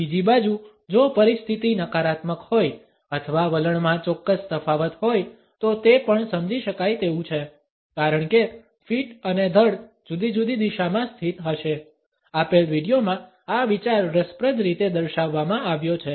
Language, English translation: Gujarati, On the other hand, if the instance is negative or there is certain diffidence in the attitude it is also perceptible because the feet and torso would be positioned in different directions; this idea is interestingly shown in the given video